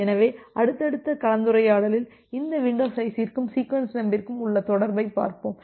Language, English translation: Tamil, So, we will look into the relation between these windows size and the sequence numbers in the subsequent discussion